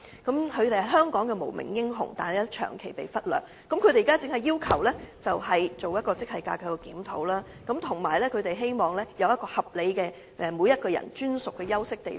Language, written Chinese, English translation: Cantonese, 他們是香港的無名英雄，但卻長期被忽略，現在只要求當局為其進行職系架構檢討，並希望有一個合理的個人專屬休息地方。, They are the unsung heroes of Hong Kong but their needs have long been neglected . What they are asking for is just a grade structure review and a reasonable resting place for their exclusive and personal use